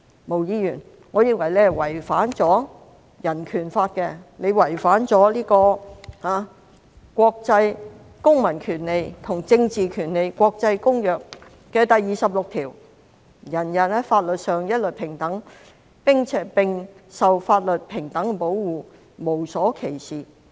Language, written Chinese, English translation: Cantonese, 毛議員，我認為你違反了《香港人權法案條例》及《公民權利和政治權利國際公約》第二十六條，每人在法律上一律平等，並受法律平等的保護，無所歧視。, Ms MO I think you have violated the Hong Kong Bill of Rights Ordinance as well as Article 26 of the International Covenant on Civil and Political Rights ICCPR which states that all persons are equal before the law and are entitled without any discrimination to the equal protection of the law